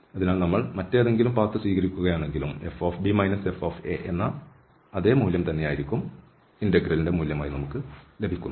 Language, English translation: Malayalam, So there is no path dependency here if we take any other path, the same value we will obtain fb minus fa